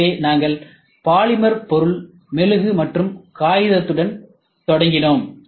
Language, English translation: Tamil, So, we started with polymer material, wax, and paper